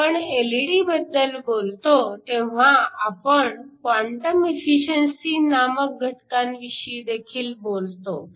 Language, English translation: Marathi, When we talk about LED's, we usually talk about a factor called quantum efficiency